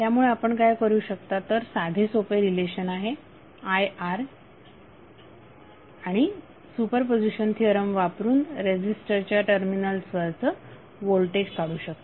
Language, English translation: Marathi, So what you can do you can use simple relationship is IR and using super position theorem you can find out the value of voltage across resistor using super position theorem